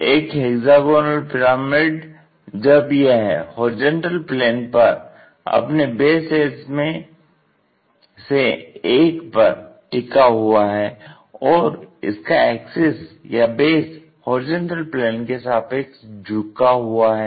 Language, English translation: Hindi, A hexagonal pyramid when it lies on horizontal plane on one of its base edges with its axis or the base inclined to horizontal plane